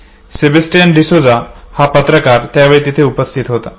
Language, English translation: Marathi, Sebastian Desuza, the photo journalist was available at that time